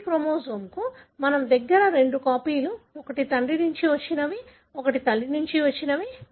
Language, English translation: Telugu, For every chromosome we have two copies one that has come from father, one that has come from mother